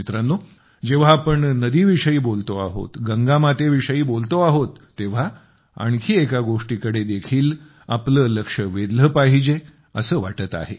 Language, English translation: Marathi, when one is referring to the river; when Mother Ganga is being talked about, one is tempted to draw your attention to another aspect